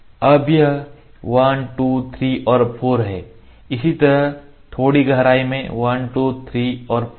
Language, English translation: Hindi, Now, this is 1 2 3 and 4 ok; similarly little depth 1 2 3 and 4 ok